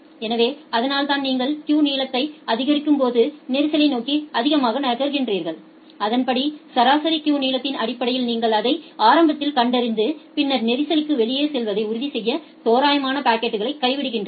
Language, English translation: Tamil, So, that is why as you are increasing the queue length you are moving more towards congestion and accordingly you detect it early based on the average queue length and then randomly drop the packets to ensure that things are going out of congestion